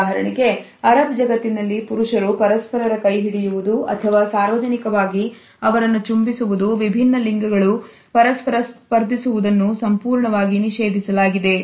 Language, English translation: Kannada, For example, in the Arab world it is comfortable for men to hold the hands of each other or to kiss them in public a cross gender touch is absolutely prohibited